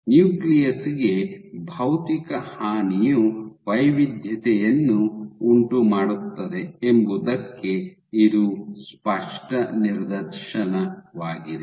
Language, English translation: Kannada, So, this is a clear demonstration that physical damage to the nucleus can induce heterogeneity